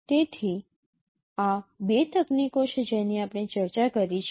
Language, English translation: Gujarati, So these are the two techniques we discussed